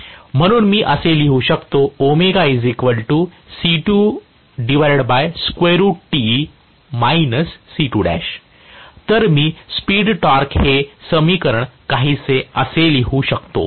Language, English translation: Marathi, So, I can write the speed torque equation somewhat like this